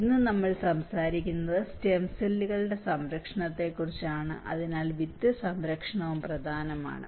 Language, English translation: Malayalam, Today, we are talking about stem cells protection, so similarly the seed protection is also an important